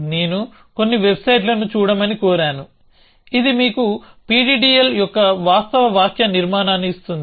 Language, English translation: Telugu, I have urged to look at some website, which will tell you a what which will give you a actual syntax of PDDL